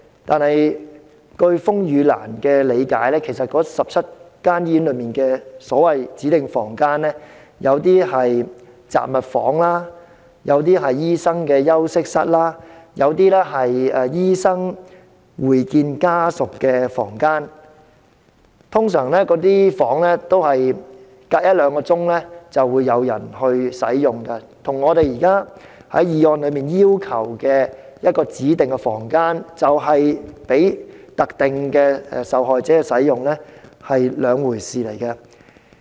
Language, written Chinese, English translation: Cantonese, 可是，據風雨蘭理解，該17間醫院內的所謂"指定房間"其實有些是雜物房，有些是醫生休息室，有些則是醫生會見家屬的房間，一般相隔一兩小時便會有人使用，與議案所要求的提供一間供特定受害者使用的指定房間是兩回事。, But to the RainLilys understanding some of the so - called designated rooms in the 17 hospitals are actually storerooms some are doctors rest rooms and some are consultation rooms for doctors meeting with patients families . Generally speaking they will be in use every one or two hours and they are totally different from the designated rooms for victims of the specified cases as requested by the motion